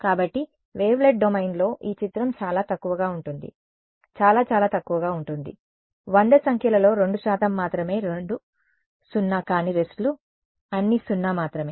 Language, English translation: Telugu, So, in the wavelet domain this image is sparse, very very sparse only 2 percent 2 out of 100 numbers are non zero rests are all zero right